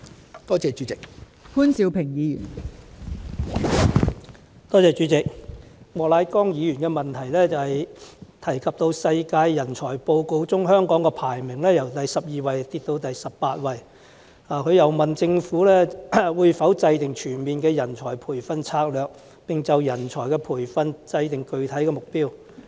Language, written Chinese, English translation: Cantonese, 莫乃光議員的質詢提及香港在《2018年世界人才報告》的排名，由第十二位下跌至第十八位，他又問政府會否制訂全面的人才培訓策略，並就人才培訓訂定具體目標。, Mr Charles Peter MOK mentions in his question that the ranking of Hong Kong in the World Talent Report 2018 has fallen from the 12 place to the 18 place . He asks the Government whether it will formulate a comprehensive strategy for training of talents and draw up specific targets in respect of talent training